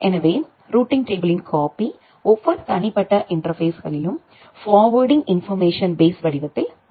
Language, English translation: Tamil, So, a copy of the routing table it is put in every individual interfaces in the form of a forwarding information base